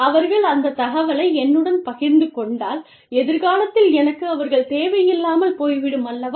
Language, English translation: Tamil, If they share that information with me, then I will not need them, in the future